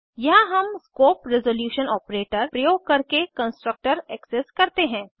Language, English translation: Hindi, Here we access the constructor using the scope resolution operator